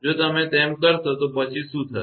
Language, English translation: Gujarati, If you do so then what will happen